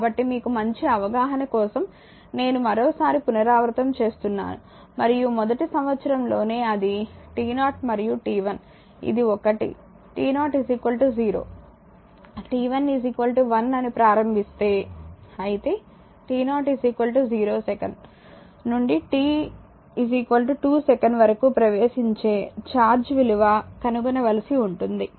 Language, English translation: Telugu, So, I repeat once again for your you know understanding because and if you start in the very first year that it is one in between 0 and one that is this is t 0 is equal to 0 t 1 is equal to 1, but you have to you have to determine the charge entering the element from t is equal to 0 second to t is equal to 2 second